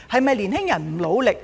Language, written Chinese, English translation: Cantonese, 青年人是否不努力？, Have young people not worked hard enough?